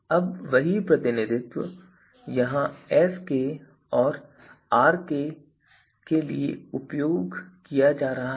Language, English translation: Hindi, So, now the same representation is being used here also for Sk and Rk also